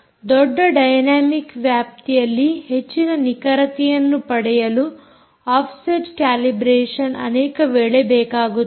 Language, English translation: Kannada, offset calibration: perhaps when looking for high accuracy over a large dynamic range, it is often required